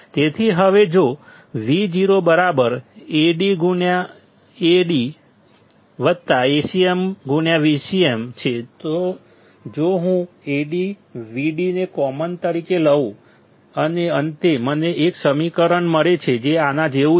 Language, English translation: Gujarati, So, now if Vo equals to Ad into Vd plus Acm into Vcm; if I take AdVd as common, then finally, I will get an equation which is similar to this